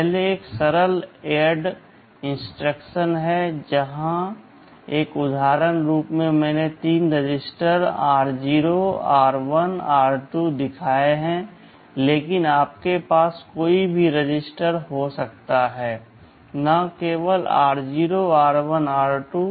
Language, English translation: Hindi, First is a simple add instruction, well here as an example I have shown three registers r 0, r1, r2, but you can have any registers here not necessarily only r0, r1, r2